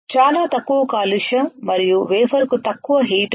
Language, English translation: Telugu, There is very less contamination and less heating to the wafer